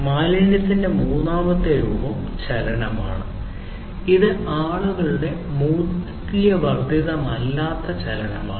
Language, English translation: Malayalam, Third form of waste is the motion which is basically non value added movement of people